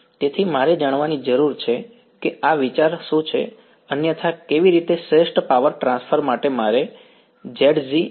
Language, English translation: Gujarati, So, I need to out what this idea is otherwise how so, for optimal power transfer what do I want Zg is equal to